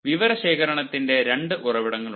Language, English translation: Malayalam, so there are two sources of data collection